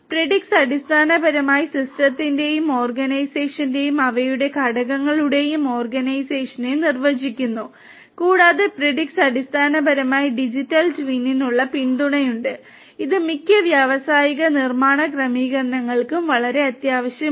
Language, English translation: Malayalam, Predix basically defines the organization of the system and subassemblies and their components and also Predix basically has the support for Digital Twin which is very essential for most of the industrial manufacturing settings